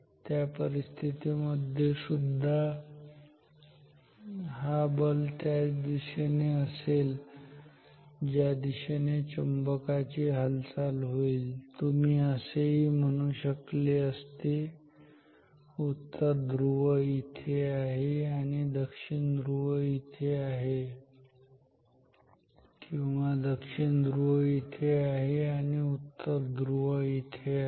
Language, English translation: Marathi, Even then the force will always be in the same direction as the direction of the motion of the magnet; you could also have say north pole here and south pole here or south pole here and north pole here you will still have the same effect ok